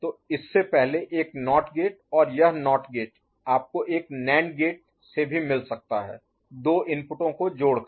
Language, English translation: Hindi, So, a NOT gate before it and this NOT gate you can get by a NAND gate also, by joining the 2 inputs, right